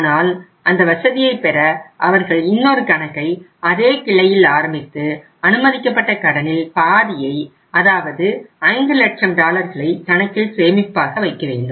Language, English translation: Tamil, But to have that facility they have to open another account in the same branch and half of that sanctioned loan say 5 lakh dollars, 500,000 dollars they have to deposit in that account